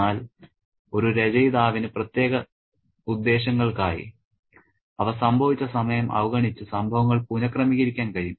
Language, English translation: Malayalam, But an author can deliberately rearrange the events disregarding the time in which they have happened for particular purposes